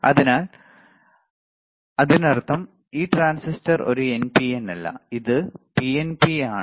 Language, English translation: Malayalam, So; that means, that this transistor is not an NPN, is it PNP